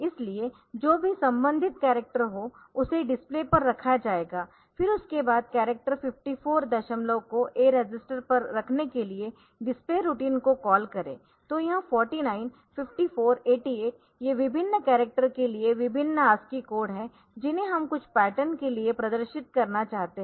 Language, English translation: Hindi, So, that will be put on to the display, then we are then after that for putting the character 54 decimal on to the a register calling the display routine so, this 49, 54, 88 so these are various as key code for different characters that we want to display for some pattern